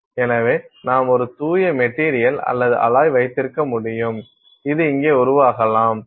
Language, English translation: Tamil, So, you can have a pure material or alloy; so, this can form here